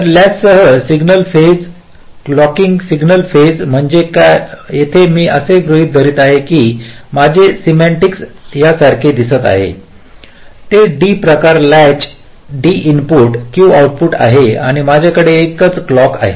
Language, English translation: Marathi, single phase means here i am assuming that my schematic looks like this its a d type latch, d input, ah, q output and i have a single clock